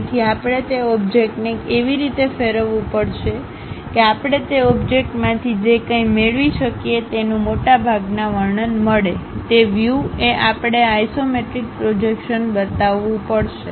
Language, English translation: Gujarati, So, we have to rotate that object in such a way that, most description whatever we can get from that object; in that view we have to show these isometric projections